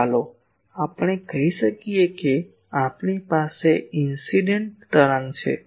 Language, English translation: Gujarati, So, let us say that we have a incident wave